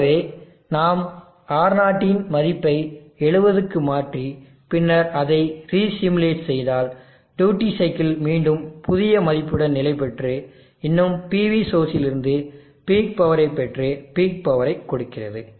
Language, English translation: Tamil, So let us see if we change alter the R0 value to 70 and then re simulate the duty cycle will settle down with new value yet still giving peek power drawing, power from the PV source